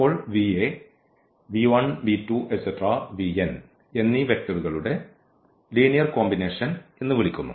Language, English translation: Malayalam, Then we call that this v is a linear combination of the vectors v 1, v 2, v 3, v n